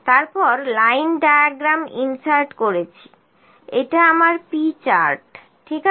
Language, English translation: Bengali, Then insert line diagram this is my p chart, ok